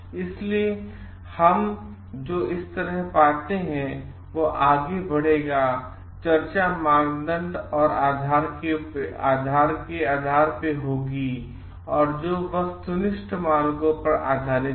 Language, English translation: Hindi, So, what we find like this will lead to, this discussions will be based on the criteria and which is based on objective standards